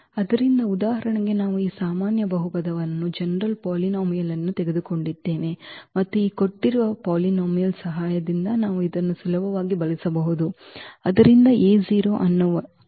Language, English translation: Kannada, So, for instance we have taken this general polynomial and with the help of these given polynomials we can easily use this